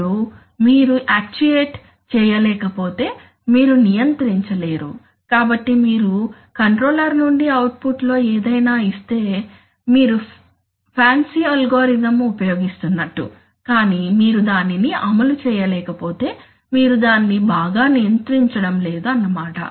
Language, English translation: Telugu, Then, when you, what you cannot actuate, you cannot control, so you may be giving whatever in output from the controller you may be using a fancy algorithm but if you cannot actuate it then you are not controlling it well